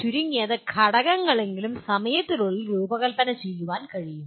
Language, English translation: Malayalam, Components can be designed, at least within the limited time